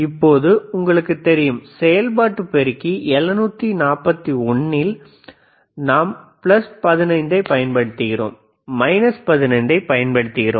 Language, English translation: Tamil, Now, if if we know we have studied right, in operational amplifiers 741, we apply plus 15, we apply minus 15